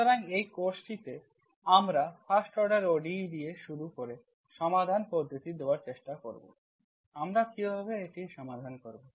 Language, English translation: Bengali, So this course we start with the first order, first order ODEs, first order ODEs will try to give the solutions methods, how do we solve it